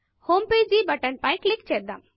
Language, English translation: Telugu, Lets click on the homepage button